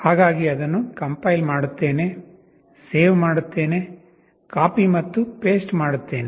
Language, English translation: Kannada, So I compile it, save it, copy it and paste it